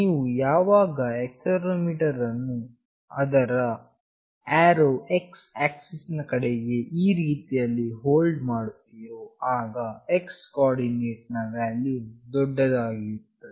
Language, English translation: Kannada, Whenever you hold this accelerometer with the arrow towards this x axis in this fashion, then the x coordinate value will be the highest